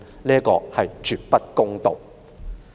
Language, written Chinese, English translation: Cantonese, 這是絕不公道的。, This is absolutely unfair